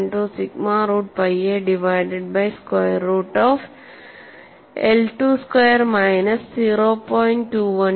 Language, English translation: Malayalam, 12 sigma root of pi a divided by square root of I 2 square minus 0